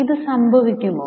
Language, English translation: Malayalam, Can this happen